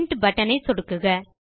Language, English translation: Tamil, Now click on the Print button